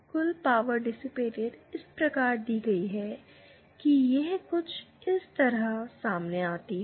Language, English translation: Hindi, The total power dissipated is given byÉ and this comes out to